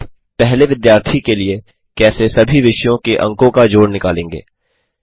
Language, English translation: Hindi, How do you find the sum of marks of all subjects for the first student